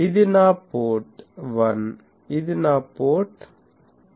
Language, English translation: Telugu, This is my port 1, this is my port 2